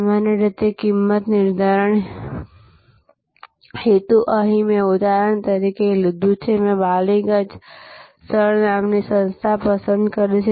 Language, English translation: Gujarati, So, typically the pricing objective, here I have taken for an example, I have chosen an organization called 6 Ballygunge place